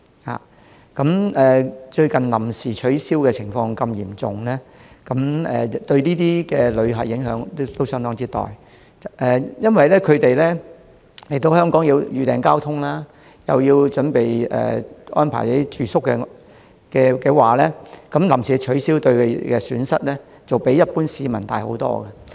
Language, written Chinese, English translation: Cantonese, 最近多次出現活動臨時取消的情況，對旅客有相當大的影響，因為他們來港前要預訂交通及安排住宿，如有關活動臨時取消，他們承受的損失會較一般市民多。, Recently many of these activities were cancelled at short notice . This has significantly affected tourists because they had to book transport and arrange accommodation before coming to Hong Kong . If these activities are cancelled at short notice they will suffer more losses compared with the local people